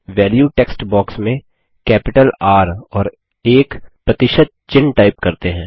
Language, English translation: Hindi, In the Value text box, let us type in capital R and a percentage symbol